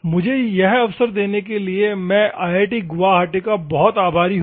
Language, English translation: Hindi, I am very thankful for IIT Guwahati giving me that opportunity